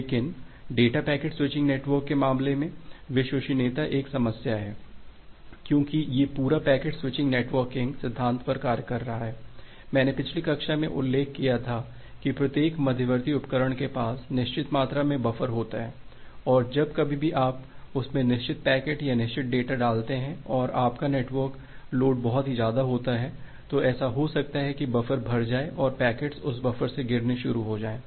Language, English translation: Hindi, But in case of a data packet switching network, this reliability is an issue, because this entire packet switching network is working on the basis of king principle where as I was mentioning the last class that every intermediate devices has certain fixed amount of buffer and whenever you are putting certain packets into that or certain data into that and if your network load is too high, it may happen that the buffer becomes full and packet starts getting dropped from that buffer